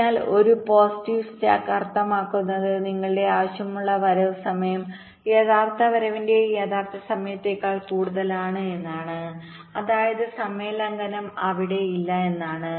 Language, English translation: Malayalam, so a positive slack means your required arrival time is greater than the actual time, actual arrival, which means the timing violation not there